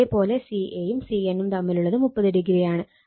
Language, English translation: Malayalam, And if you look ca and cn, it is 30 degree right